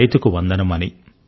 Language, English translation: Telugu, Salute to the farmer